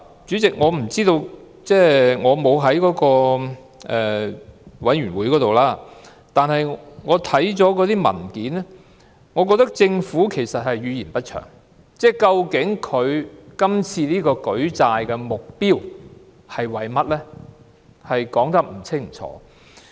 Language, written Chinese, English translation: Cantonese, 主席，我並非有關小組委員會的委員，但看過文件後，我認為政府語焉不詳，對於政府今次舉債的目標說得不清不楚。, President I am not a member of the Subcommittee concerned but after reading the papers I found the Government ambiguous and unclear in stating its purpose of raising loans this time